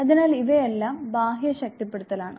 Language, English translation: Malayalam, So, all these constitute external reinforcement